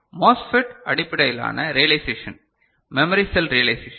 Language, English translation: Tamil, So, the MOSFET based realization, the memory cell realization